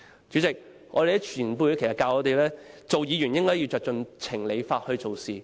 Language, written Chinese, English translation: Cantonese, 主席，我們的前輩教導我們，當議員應該根據情、理、法辦事。, President our predecessors have taught us that as Members we should give a reasonable sensible and legal consideration to everything we do